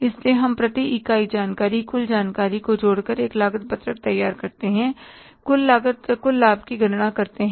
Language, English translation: Hindi, So we prepared a cost sheet adding the per unit information, total information, calculated the total cost, total profit